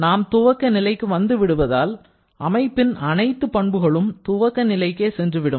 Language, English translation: Tamil, Because we are back to the initial point, so all the system properties will go back to its initial value